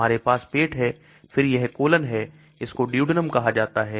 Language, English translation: Hindi, We have the stomach then this is colon, this is called the duodenum